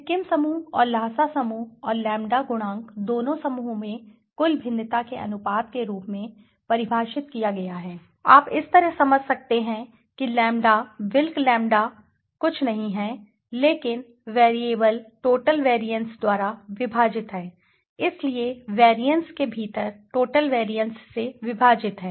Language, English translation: Hindi, In both the groups that is Sikkim group and the Lhasa group and the lambda coefficient is defined as the proportion of the total variance you can understand this way the lambda the wilk s lambda is nothing but within variance divided by the total variances, so within variance divided by total variance so if you that means what if my and I have told you that within something which is unexplained right